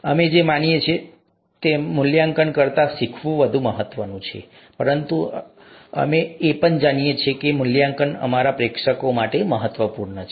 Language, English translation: Gujarati, The learning is much more important than the evaluation is what we believe, but we also know that the evaluation is important for our audience